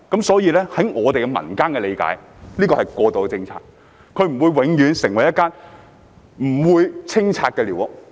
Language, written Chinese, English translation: Cantonese, 所以，據民間理解，這是過渡政策，不會有永不清拆的寮屋。, Therefore according to popular understanding this is an interim policy and there are no squatter structures that will never be demolished